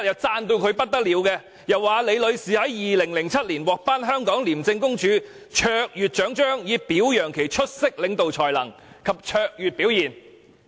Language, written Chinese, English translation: Cantonese, 他當時高度讚揚李女士，表示她曾於2007年獲頒香港廉政公署卓越獎章，以表揚其出色領導才能及卓越表現。, He highly commended Ms LI and even said that as a token of appreciation for her outstanding leadership and excellent performance she was awarded the Hong Kong ICAC Medal for Distinguished Service in 2007